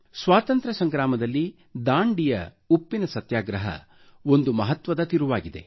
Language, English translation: Kannada, In our Freedom struggle, the salt satyagrah at Dandi was an important turning point